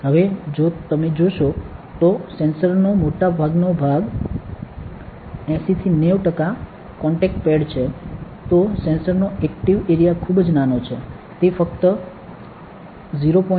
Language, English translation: Gujarati, Now, if you see the major part 80 to 90 of the sensor are contact pads, the active area of the sensor is very very small, it is only 0